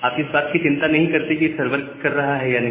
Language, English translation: Hindi, You do not bother about whether the server is running or not